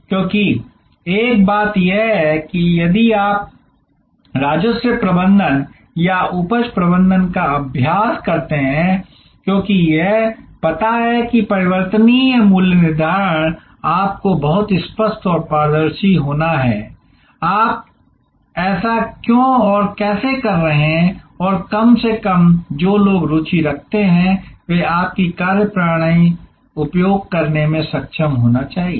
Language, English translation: Hindi, Because, one thing is that if you practice revenue management or yield management as it is know variable pricing you have to be very clear and transparent and that why and how you are doing this and at least people who are interested they should be able to access your methodology